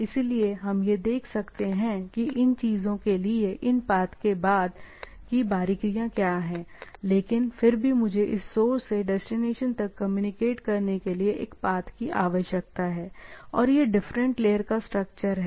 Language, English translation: Hindi, So, there can be, we will see that what are the subsequently the nitty gritty of these having these paths to the things, but nevertheless I require a path to communicate from the source to destination, right and this, overall different layer of structure